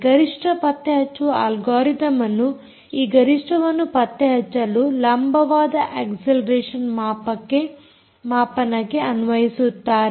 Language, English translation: Kannada, peak detection algorithm is applied on vertical acceleration readings of accelerometer to detect this peaks